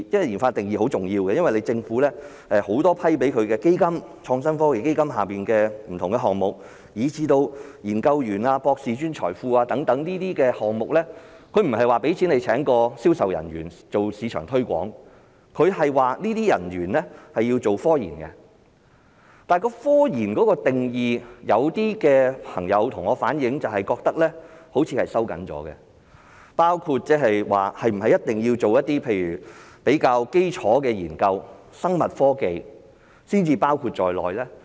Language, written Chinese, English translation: Cantonese, 研發的定義很重要，因為政府很多批出的基金，創新科技基金下的不同項目，以至研究員、博士、專才庫等項目，它不是撥款給他們聘請銷售人員做市場推廣，而是這些人員需要從事科研工作，但是，有些朋友向我反映，覺得科研的定義收緊了，是否一定要做一些比較基礎的研究、生物科技，才包括在內？, The definition of RD is very important because when it comes to the fundings approved by the Government for different projects under the Innovation and Technology Fund as well as projects relating to researchers and the Postdoctoral Hub etc they are not meant to be used for hiring sales personnel to perform marketing duties . Rather they should be spent on scientific research work . However I was told that the definition of scientific research work has been narrowed down and is it really the case that only some relatively basic researches or biotechnological researches will be covered?